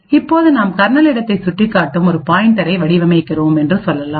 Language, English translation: Tamil, Now let us say that we craft a pointer which is pointing to the kernel space